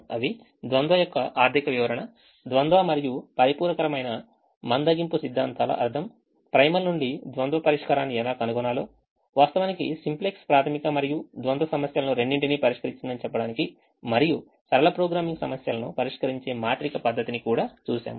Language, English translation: Telugu, in the fifth week we look at some more things about the dual: the economic interpretation of the dual, the meaning of the dual, complementary slackness theorems, how to find the solution of the dual from that of the primal, went on to say that the simplex actually solves both the primal and the and the dual and also look at matrix method of solving linear programming problems